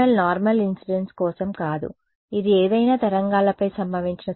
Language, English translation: Telugu, So, this PML is not for normal incidence this is this is going to absorb any wave that is incident on it